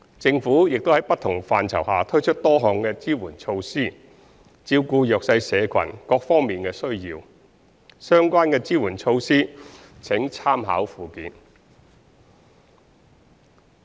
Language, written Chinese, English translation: Cantonese, 政府亦在不同範疇下推出多項支援措施，照顧弱勢社群各方面的需要，相關的支援措施請參考附件。, The Government has also introduced various support measures under different policy areas to cater for the needs of the underprivileged in various aspects . Please refer to the Annex for these support measures